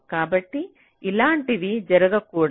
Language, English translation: Telugu, ok, so such scenario should not occur